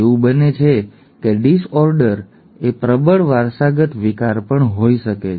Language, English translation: Gujarati, It so happens that a disorder could be a dominantly inherited disorder too